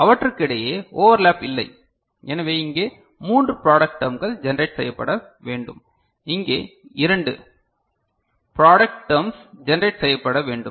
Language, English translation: Tamil, So, there is no overlap between them, so here three product terms to be need to be generated and here two (correction: 4 blue 1s one term, 2 yellow 1s one term)) product terms need to be generated